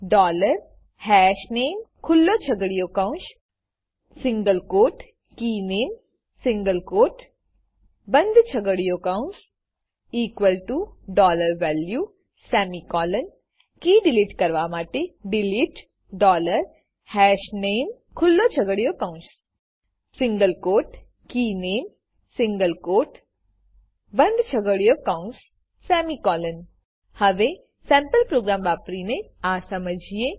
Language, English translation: Gujarati, adding key is dollar hashName open curly bracket single quote KeyName single quote close curly bracket equal to $value semicolon deleting key is delete dollar hashName open curly bracket single quote KeyName single quote close curly bracket semicolon Now, let us understand this using a sample program